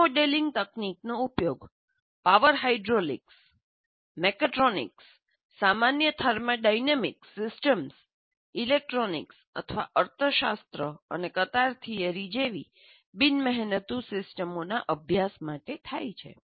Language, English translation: Gujarati, This modeling technique is used in studying power hydraulics, mechatronics, general thermodynamic systems, electronics, non energy systems like economics and queuing theory as well